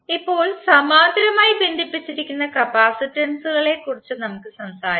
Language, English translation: Malayalam, Now, let us talk about the capacitors which are connected in parallel